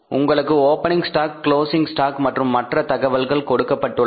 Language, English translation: Tamil, You are given the information about the opening stock closing stock and the other particulars